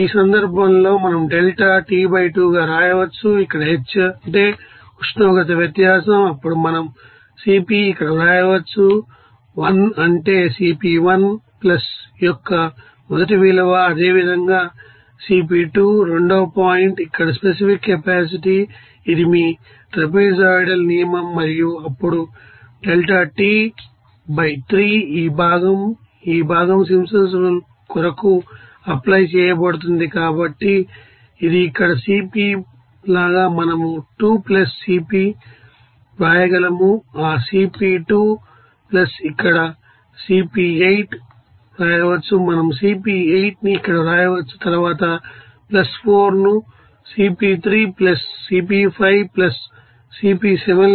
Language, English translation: Telugu, So, in this case we can write delta T by 2 here delta T here, this is h that means here temperature difference, then we can write here Cp here 1 that is first value of Cp1 + similarly, Cp2 second point here specific capacity, this is your trapezoidal rule as for that and plus then, you know delta T by 3 this part will be applied for Simpson rule